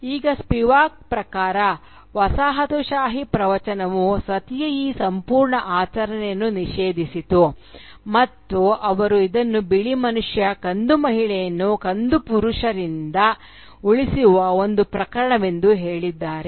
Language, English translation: Kannada, Now, according to Spivak, the colonial discourse made this entire ritual of Sati, they made it out to be a case of "white man saving brown women from brown men